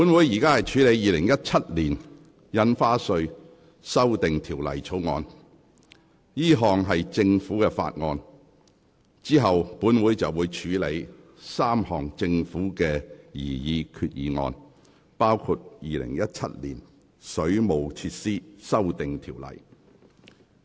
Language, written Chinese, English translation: Cantonese, 本會現正處理的《2017年印花稅條例草案》屬政府法案，之後便會處理政府提出的3項擬議決議案，包括《2017年水務設施規例》。, The Council is now dealing with the Stamp Duty Amendment Bill 2017 which is a Government Bill . Afterwards the Council will proceed to deal with three resolutions proposed by the Government including the one relating to the Waterworks Amendment Regulation 2017